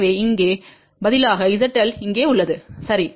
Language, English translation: Tamil, So, Z L is here instead of here, ok